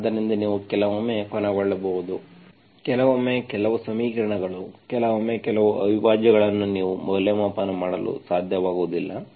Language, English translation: Kannada, So you might end up sometimes, sometimes some equations, sometimes some integrals you will not be able to evaluate